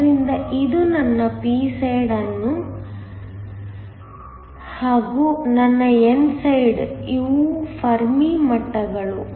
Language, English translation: Kannada, So, this is my p side, that is my n side, these are the Fermi levels